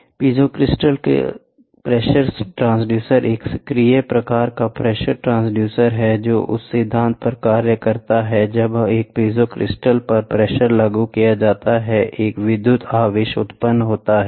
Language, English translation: Hindi, So, the piezo crystal pressure transducer is an active type of pressure transducer, which works on the principle when the pressure is applied on a piezo crystal an electric charge is generated